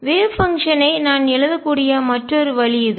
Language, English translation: Tamil, This is another way I can write the wave function